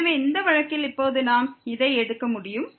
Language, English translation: Tamil, So, in this case now we can conclude this